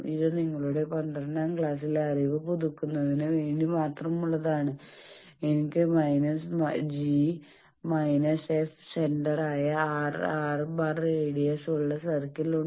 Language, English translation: Malayalam, This is just for refreshing your class 12 knowledge that if I have a circle with center at minus g minus f and radius R